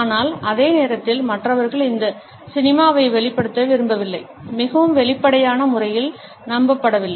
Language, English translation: Tamil, But at the same time the other person does not want to exhibit this cinicism is not believed in a very open manner